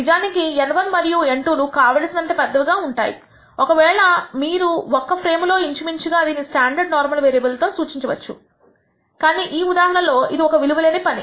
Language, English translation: Telugu, In fact, for large enough N 1 and N 2, if you take large in a frame, you can actually approximate this with a standard normal variable , but in this case let us let us do a precise job